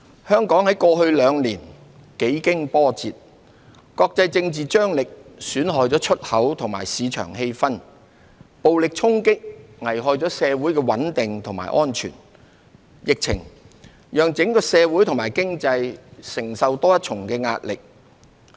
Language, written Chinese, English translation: Cantonese, 香港在過去兩年幾經波折，國際政治張力損害了出口和市場氣氛，暴力衝擊危害了社會穩定和安全，疫情讓整個社會及經濟承受多一層的壓力。, Hong Kong went through tribulations in the past two years . International political tensions have dampened local exports and market sentiments; violent clashes have endangered the stability and safety of our society; and the epidemic has exerted additional pressure on the whole community and economy